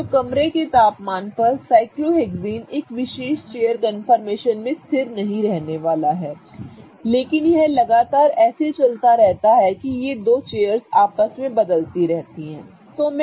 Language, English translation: Hindi, So, at room temperature cyclohexene is not going to stay stable in one particular chair confirmation but it is going to constantly keep moving such that it inter converts between one chair and the other chair